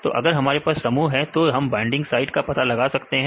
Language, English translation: Hindi, So, if we have the complexes we can identify the binding sites right